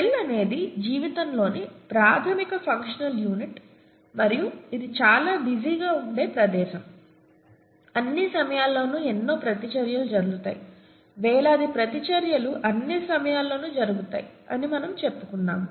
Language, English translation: Telugu, We said, cell is the fundamental functional unit of life and it’s a very busy place, a lot of reactions happening all the time, thousands of reactions happening all the time